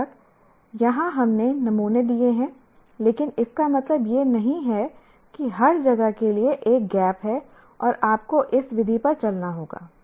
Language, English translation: Hindi, Of course, here we are given the samples, but it doesn't mean that for everywhere there is a gap, you have to follow only this method